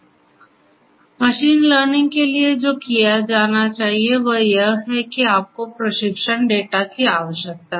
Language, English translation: Hindi, So, for machine learning what has to be done is that you need some kind of training data